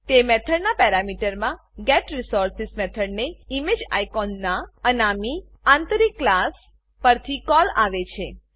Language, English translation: Gujarati, The parameter of that method contains a call to the getResource() method on an anonymous inner class of ImageIcon